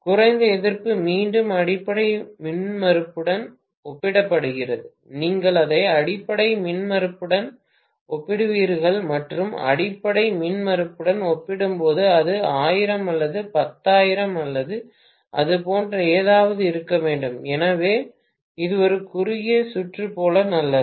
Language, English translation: Tamil, Low resistance again is compared to the base impedance, you will compare it with the base impedance and compared to base impedance it should be 1,000 or one 10,000 or something like that, so it is as good as a short circuit